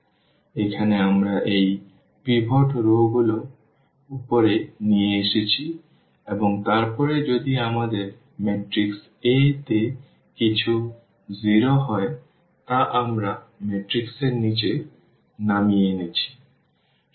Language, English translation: Bengali, So, here we have taken these pivot rows to the to the up and then if something is 0 here in our matrix A that we have brought down to this bottom of the matrix